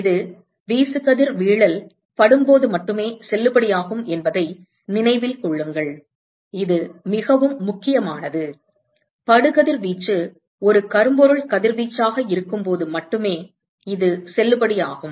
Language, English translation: Tamil, Keep in mind that this is only if the this is valid only when incident irradiation this is very important this is valid only when the incident radiation is that of a black body radiation